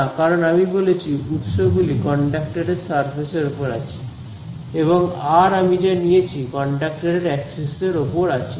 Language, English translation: Bengali, No, right because I have said the sources are on the surface of the conductor and the r that I have chosen is on the axis of the conductor right